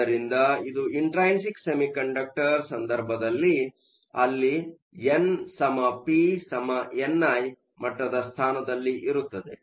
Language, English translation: Kannada, So, this is for the case of an intrinsic semiconductor, where n equal to p equal to n i